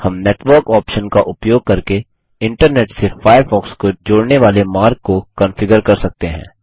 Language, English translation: Hindi, We can also configure the way Firefox connects to the Internet using the Network option